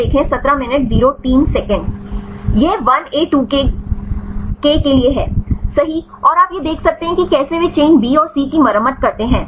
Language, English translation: Hindi, This is for 1A2K right and you can see this is how they repair the chains B and C and